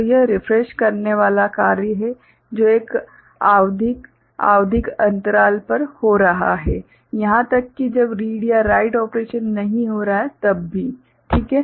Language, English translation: Hindi, So, this is the refreshing act that is happening at a periodical, periodic interval; even when read or write operations are not taking place, right